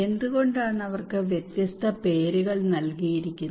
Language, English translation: Malayalam, Why they are given different names